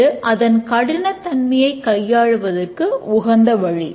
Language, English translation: Tamil, And that is one way to tackle complexity